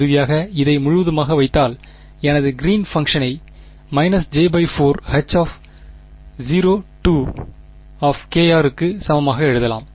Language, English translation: Tamil, And if I put it altogether finally, I can write my greens function as equal to minus j by 4 H naught right